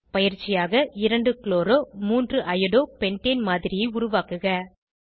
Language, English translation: Tamil, As an assignment, Create a model of 2 chloro 3 Iodo pentane